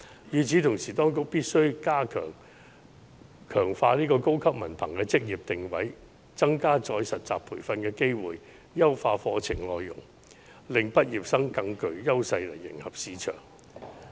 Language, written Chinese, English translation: Cantonese, 與此同時，當局必須強化高級文憑的職業定位，增加再實習培訓的機會，優化課程內容，令畢業生在迎合市場方面更具優勢。, Meanwhile the authorities must strengthen the vocational positioning of high diploma increase opportunities for internship and retraining and optimize curriculum with a view to raising graduates competitiveness in the market